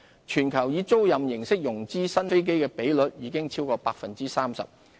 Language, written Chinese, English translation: Cantonese, 全球以租賃形式融資新飛機的比率已超過 30%。, The proportion of new aircraft being financed by leasing has exceeded 30 % worldwide